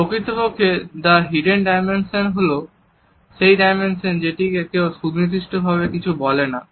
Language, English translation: Bengali, The Hidden Dimension is in fact, the dimension which is never talked about specifically by anybody